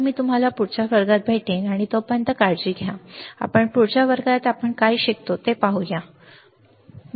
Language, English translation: Marathi, So, I will see you in the next class, and till then, take care, and let us see what we learn in the next class, alright